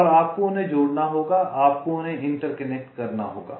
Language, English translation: Hindi, you will have to interconnect them